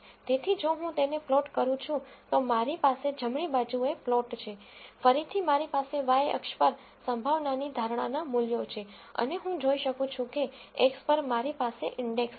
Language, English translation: Gujarati, So, if I plot it, I have the plot on my right, again I have the predicted values of probability on my y axis and I can see that on the x I have the index